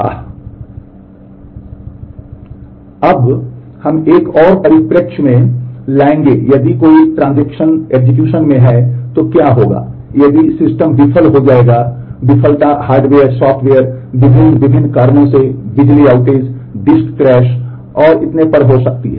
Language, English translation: Hindi, ah Now, we would bring in another perspective is if while a transaction is in execution what if the system would fail, the failure may be due to hardware software, various different reasons power outage, disk crash and so on